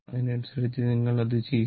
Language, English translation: Malayalam, And accordingly you will do it